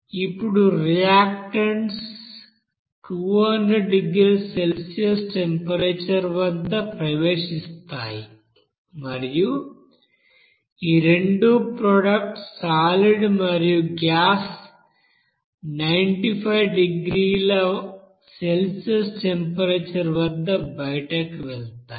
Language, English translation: Telugu, Now the reactants enters at a temperature of 200 degrees Celsius and the products both the solids and gas leave at a temperature of here 950 degree Celsius